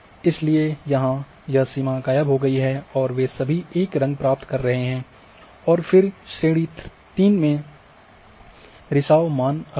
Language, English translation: Hindi, So, therefore the boundary has disappeared and they are all getting one colour and then class 3 is having infiltration value